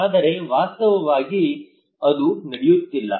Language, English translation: Kannada, But actually it is not happening